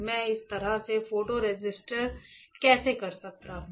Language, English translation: Hindi, How can I pattern my photo resist in this fashion